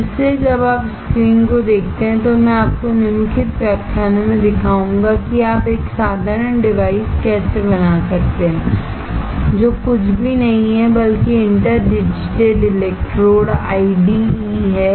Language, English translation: Hindi, So, that is why, when you see the screen what I will show you in the following lectures is how you can fabricate a simple device which is nothing but inter digitated electrodes IDEs